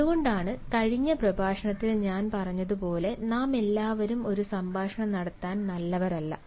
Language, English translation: Malayalam, that is why, as i said in the previous lecture, not all of us are good at having a conversation